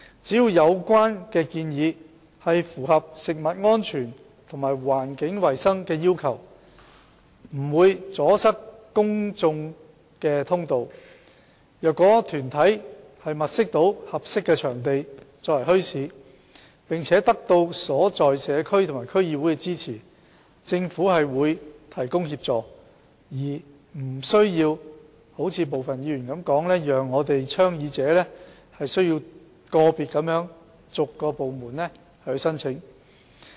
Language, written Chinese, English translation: Cantonese, 只要有關建議符合食物安全和環境衞生的要求，不阻塞公眾通道，而有關團體能物色合適的場地作為墟市，並得到所在社區及區議會支持，政府便會提供協助，而並非如部分議員所說，倡議者需要逐一向個別部門申請。, Provided that the proposals are compliant with the requirements concerning food safety and environmental hygiene do not cause obstruction to public access and that the organizations concerned can identify suitable locations for bazaars which are supported by the community and District Councils DCs the Government will render assistance . It is not the case as some Members claimed that the advocator making the application has to approach individual departments one after another